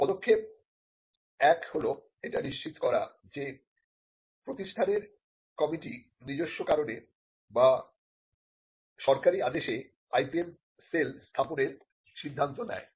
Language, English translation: Bengali, The step 1 is to ensure that a committee of the institution either on its own action or due to a government mandate decides to setup the IPM cell